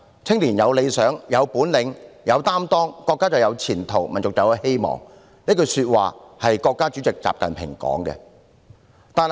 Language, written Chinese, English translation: Cantonese, 青年一代有理想、有本領、有擔當，國家就有前途，民族就有希望"，這句是國家主席習近平的說話。, A nation will be full of hope and have a bright future when its younger generation have ideals abilities and a sense of responsibility . These comments were made by President XI Jinping